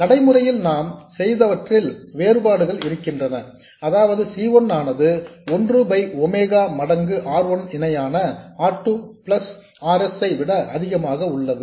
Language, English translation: Tamil, In practice what is done is we have an inequality that is C1 much greater than 1 by omega times R1 parallel R2 plus RS